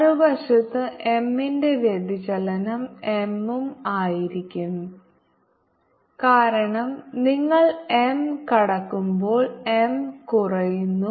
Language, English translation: Malayalam, on the other side divergence of m is going to be plus m because it is go across